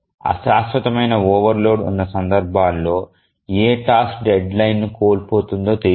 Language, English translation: Telugu, In those cases of transient overload, it is not known which task will miss the deadline